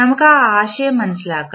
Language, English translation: Malayalam, Let us understand that particular concept